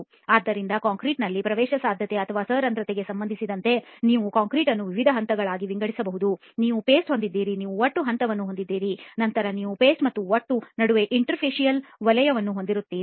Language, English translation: Kannada, So as far as permeability or porosity is concerned in concrete, you can divide concrete into various phases, you have the paste, you have the aggregate phase and then you have the interfacial zone between the paste and the aggregate, okay